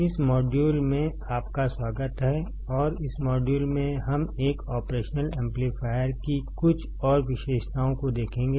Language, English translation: Hindi, Welcome to this module and in this module, we will see some more characteristics of an operational amplifier